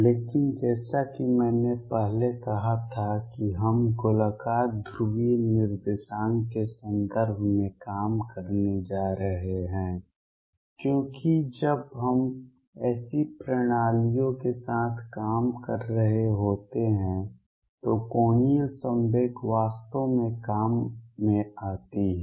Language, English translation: Hindi, But as I said earlier we are going to work in terms of spherical polar coordinates because angular momentum really comes into play when we are dealing with such systems